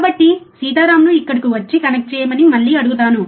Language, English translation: Telugu, So, I will ask again Sitaram to come here and connect it